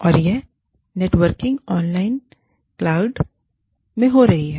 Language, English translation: Hindi, And, this networking is happening online, in the cloud